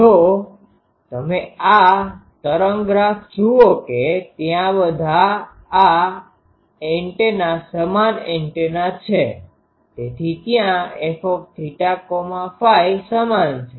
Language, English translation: Gujarati, If you look at this wave graph that all these antennas there they are identical antennas so there f theta phi is same